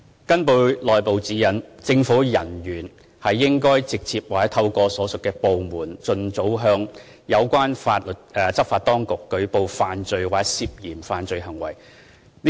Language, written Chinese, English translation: Cantonese, 根據內部指引，政府人員應該直接或透過所屬部門，盡早向有關執法當局舉報犯罪或涉嫌犯罪行為。, According to internal guidelines government officers should either directly or through their respective departments report as soon as possible offences or suspected criminal acts to the relevant law enforcement authorities